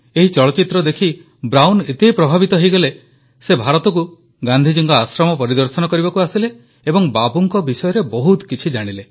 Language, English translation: Odia, Brown got so inspired by watching this movie on Bapu that he visted Bapu's ashram in India, understood him and learnt about him in depth